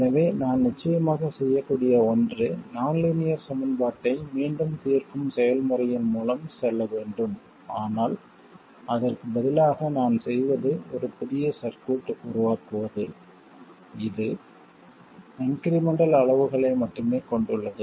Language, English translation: Tamil, So, one thing I could do of course is go through the process of solving the nonlinear equation again, but what I do instead is make a new circuit which consists only of incremental quantities